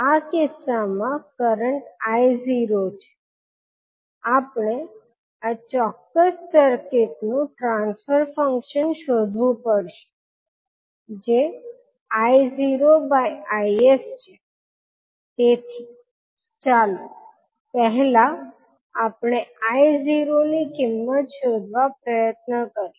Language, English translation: Gujarati, In this case and the current is I naught now we have to find out the transfer function of this particular circuit that is I naught by Is, so let us first let us try to find out the value of I naught